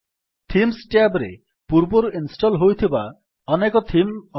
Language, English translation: Odia, Here under Themes tab, we have many pre installed themes